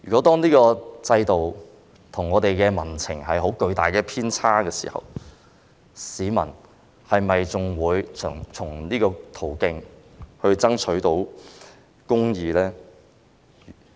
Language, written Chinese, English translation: Cantonese, 當這個制度跟民情出現巨大偏差時，市民是否仍然能夠循這個途徑爭取公義呢？, When this system falls far short of public expectations will people still be able to seek justice through this avenue?